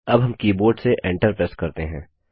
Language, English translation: Hindi, Now press Enter on the keyboard